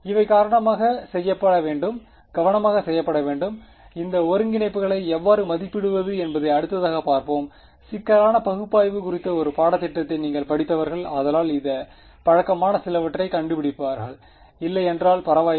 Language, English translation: Tamil, These have to be done carefully and we will look at these next how to evaluate these integrals those of you who have done a course on complex analysis will find some of this familiar if not it does not matter ok